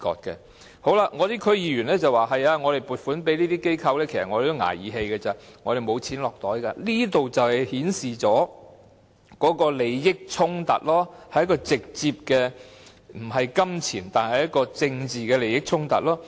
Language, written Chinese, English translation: Cantonese, 有區議員說，撥款給這些機構其實只是"捱義氣"，他們是沒錢落袋的，這正正顯示利益衝突所在，是直接的政治利益而非金錢利益衝突。, Some DC members said the allocation of funds to these organizations was actually a thankless job . They did not pocket any money . This exactly shows where the conflict of interests lies